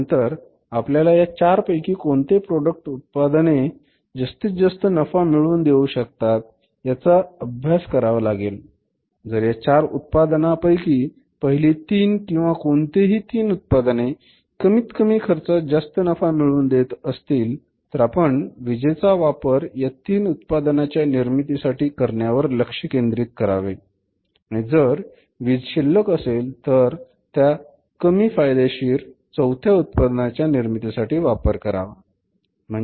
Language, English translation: Marathi, Now you would like to learn which of the 4 products out of the 4 total products we are manufacturing to maximize the profitability of the firm if we concentrate upon the first three products, any three products which are giving us the maximum profits and the minimum cost, the available power should be used first of all for the three products only and if any power is left after that we should use for the fourth product which is least productive or the profit making